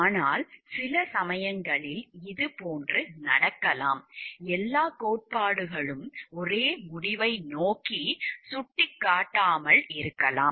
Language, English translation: Tamil, But, sometimes it may so happen like these all the theories may not be pointing towards the same end conclusion